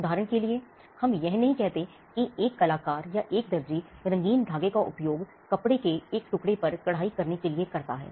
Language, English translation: Hindi, For instance, we do not say an artist, or a tailor uses colourful threads to create an embroidered piece of cloth